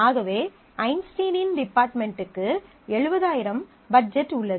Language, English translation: Tamil, So, Einstein's department has a budget 70000